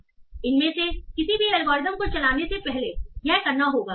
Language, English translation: Hindi, So this has to be done before running any of this algorithm